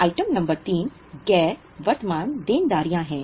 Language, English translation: Hindi, Item number 3 is non current liabilities